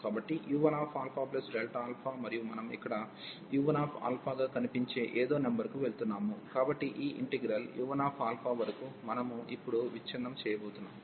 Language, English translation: Telugu, So, u 1 alpha plus delta alpha, and we are going to some number this which is actually appearing here u 1 alpha, so up to u 1 alpha this integral, we are going to break now